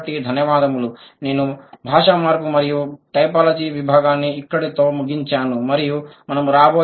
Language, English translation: Telugu, I end the language change and typology section here and we will move to a new unit in the coming days